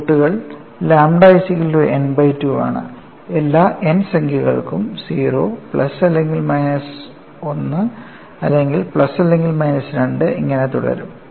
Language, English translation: Malayalam, We are not just jumping into the solution by saying lambda equal to n by 2, and I have n 0 plus or minus 1 plus or minus 2 all roots